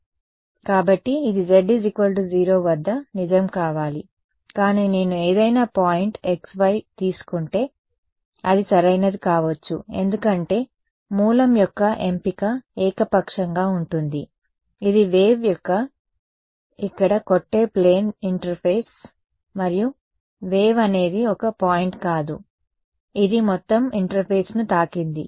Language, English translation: Telugu, So, right so, this should be true at z equal to 0, but at every at if I take any point x y it should be true right, because the choice of origin is arbitrary it is a plane interface that the wave hitting over here right, and the wave is not a it is not a point right its hitting the entire interface